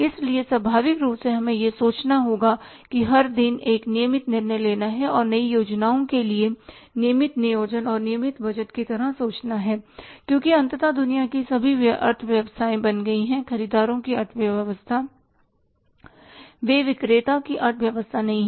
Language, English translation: Hindi, So naturally we will have to think every day it is a constant regular decision making, regular thinking, regular planning, regular budgeting and regular say planning for the new things because ultimately it has become all economies in the world have become the buyers economies